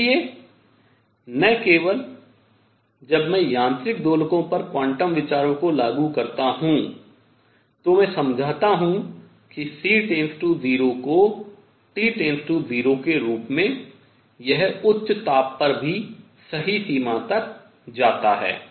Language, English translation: Hindi, So, not only when I apply quantum ideas to mechanical oscillators, I explain that C goes to 0 as T goes to 0, it also goes to the correct limit in high temperature